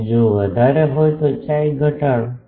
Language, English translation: Gujarati, And, if greater then decrease chi